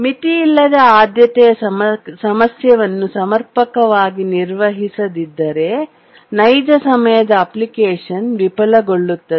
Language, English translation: Kannada, Unless the unbounded priority problem is handled adequately, a real time application can fail